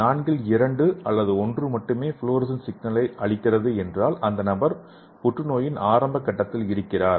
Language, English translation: Tamil, For the example out of the four only two or one is giving fluorescence signals that means the person is in the early stage of cancer